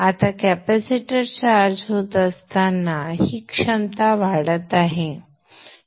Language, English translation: Marathi, Now as the capacitor is charging up, this potential is rising